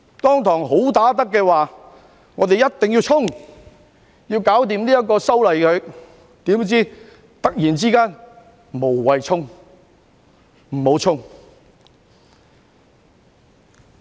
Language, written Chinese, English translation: Cantonese, 當時，"好打得"的那人說我們一定要衝刺，要完成修例，怎料突然之間卻說"無謂衝、不要衝"。, Back then the so - called good fighter said that we must proceed fearlessly to complete the legislative amendments . But then she suddenly said pulled it to a halt